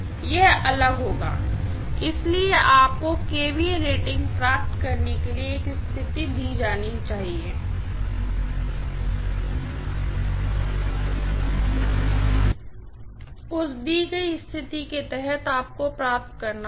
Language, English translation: Hindi, It will be different, so you should be given a situation to derive the kVA rating, under that given situation you have to derive